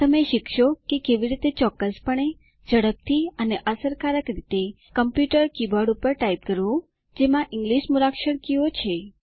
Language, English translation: Gujarati, You will learn how to type: Accurately, quickly, and efficiently, on a computer keyboard that has English alphabet keys